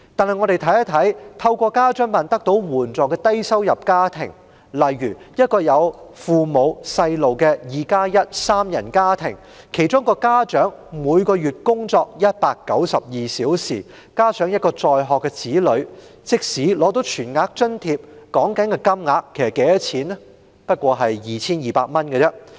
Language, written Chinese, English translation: Cantonese, 然而，看看透過家津辦得到援助的低收入家庭，例如一個有父母、子女的 "2+1" 三人家庭，其中一位家長每月工作192小時，加上一位在學的子女，即使取得全額津貼，每月金額也不過 2,200 元而已。, But let us look at the low - income families receiving assistance through WFAO . For example in a 21 three - person family consisting of two parents and one child one of the parents work 192 hours every month and the child is a student . Even if they receive the full - rate allowance the monthly rate is only 2,200